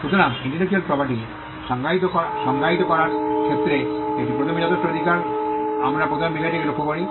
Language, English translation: Bengali, So, it is quite a substantial Right in defining intellectual property we first look at the subject matter